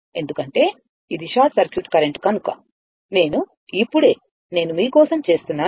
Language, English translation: Telugu, Because, as it is a short circuit current will I am just, I am making it for you